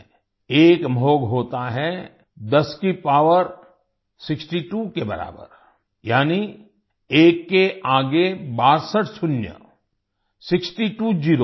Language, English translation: Hindi, There is a Mahogha 10 to the power of 62, that is, 62 zeros next to one